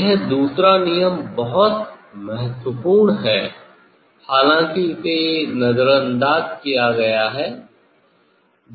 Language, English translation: Hindi, this second law is very important although it is ignored